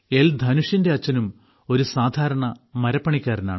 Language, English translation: Malayalam, Dhanush's father is a carpenter in Chennai